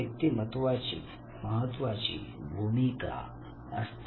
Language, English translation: Marathi, So personality does player a role